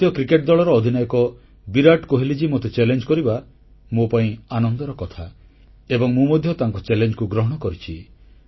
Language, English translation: Odia, For me, it's heartwarming that the captain of the Indian Cricket team Virat Kohli ji has included me in his challenge… and I too have accepted his challenge